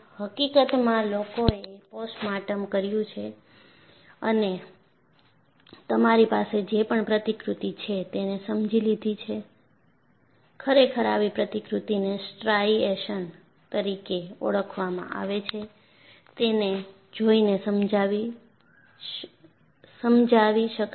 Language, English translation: Gujarati, In fact, it is so, people have done postmortem and understood whatever the model that you have in the such model is explainable by looking at what are known as striations we look at that